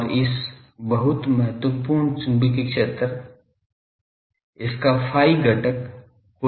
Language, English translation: Hindi, And just write this very important magnetic field, the phi component